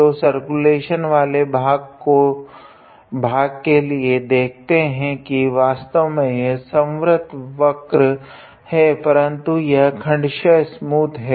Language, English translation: Hindi, So, for the circulation part we see that of course, it is a closed curve, but it is a piecewise smooth curve actually